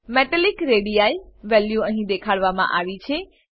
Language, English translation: Gujarati, Metallic radii value is shown here